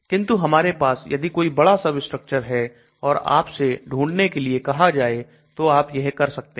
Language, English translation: Hindi, But if I have a big substructure and then ask you to search I can do that